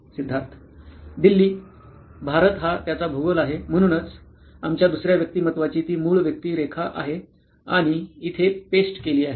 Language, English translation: Marathi, Delhi, India is his geography, so that is the basic persona of our second profile, and is pasted here